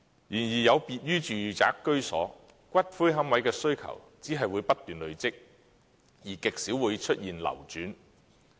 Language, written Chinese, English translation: Cantonese, 然而，有別於住宅居所，龕位的需求只會不斷累積，而極少會出現流轉。, Unlike residential properties however the demand for niches will only accumulate continuously and few niches will be available for re - circulation